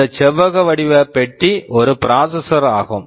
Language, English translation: Tamil, This rectangular box is a processor